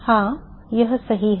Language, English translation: Hindi, Yeah, that is correct